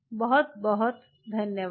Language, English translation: Hindi, thanks a lot